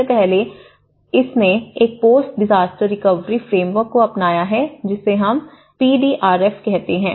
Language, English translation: Hindi, So, first of all, it has adopted a post disaster recovery framework which we call as PDRF